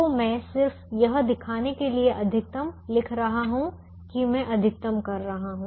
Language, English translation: Hindi, so i am just writing max here to show that i am maximizing now the function that we are maximizing